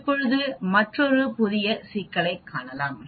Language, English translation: Tamil, Now let us look at another problem